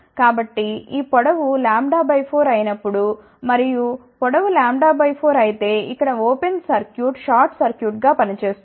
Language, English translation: Telugu, So, when this length becomes lambda by 4 and if the length is lambda by 4 here is an open circuit open circuit will act as a short circuit